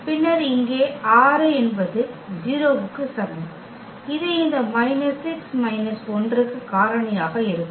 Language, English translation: Tamil, And then we have here 6 is equal to 0 and that can factorize to this minus 6 minus 1